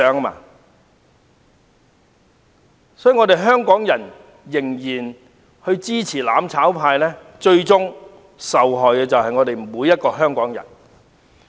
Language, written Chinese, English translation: Cantonese, 因此，如果香港人仍然支持"攬炒派"，最終受害的將是我們每一位香港人。, Hence if Hongkongers still support the mutual destruction camp the ones who eventually suffer will be every Hongkonger